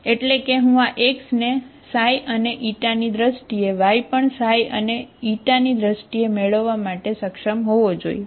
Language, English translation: Gujarati, That is, so I should be able to get this x in terms of xi and Eta, y also in terms of xi and Eta